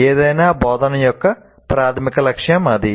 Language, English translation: Telugu, That is the major goal of any instruction